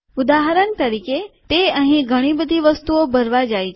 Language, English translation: Gujarati, For example, it tries to fill lots of things here